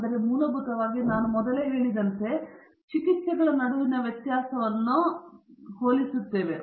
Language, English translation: Kannada, So, essentially, as I said earlier we are comparing the variation between treatments to variation within the treatments